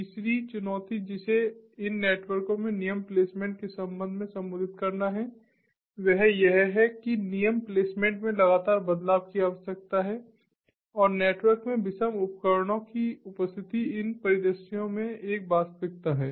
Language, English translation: Hindi, third challenge that has to be addressed with respect to rule placement in these networks is that the frequent changes in rule placement is required and the presence of heterogeneous devices in the network might is a reality, ah, in the, in these ah ah scenarios